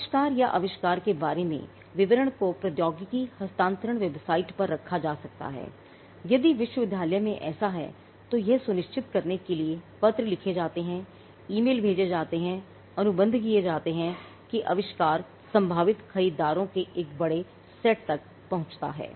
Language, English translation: Hindi, The invention or details about the invention could be put on the technology transfer website if the university has one, letters are written emails are sent contracts are exploded to ensure that the invention reaches a larger set of prospective buyers